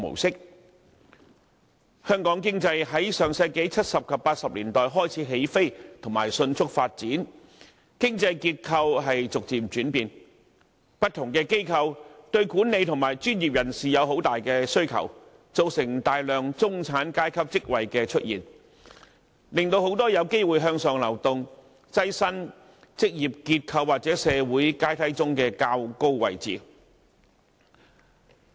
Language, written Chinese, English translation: Cantonese, 香港經濟自上世紀70及80年代開始起飛、迅速發展，經濟結構逐漸轉變，不同機構對管理和專業人士的需求很大，造成大量中產階級職位出現，令很多人有機會向上流動，躋身職業結構或社會階梯上的較高位置。, People from different social spectra all aspire to bigger room for career development and more career choices . The creation of middle and senior level positions will certainly help the middle class climb up the social ladder . Regrettably however Hong Kongs economy is now undergoing a downward development and we see a diminishing number of middle and senior level positions